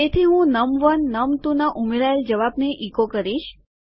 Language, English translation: Gujarati, So I echo out the answer of num1 added to num2